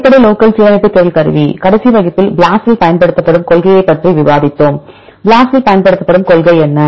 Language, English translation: Tamil, Basic local alignment search tool; in the last class we discussed about the principle used in BLAST what are principle used in BLAST